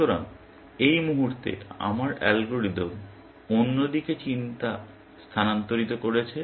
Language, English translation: Bengali, So, at this moment, my algorithm was shifted tension to the other side